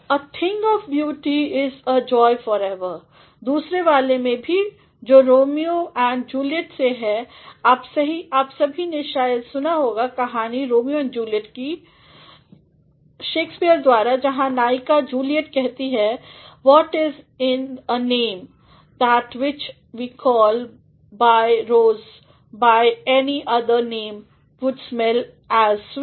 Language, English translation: Hindi, In the second one also which is from Romeo and Juliet; all of you might have heard the story of Romeo and Juliet by Shakespeare, where the heroine Juliet says, “what is in a name, that which we call by rose by any other name would smell as sweet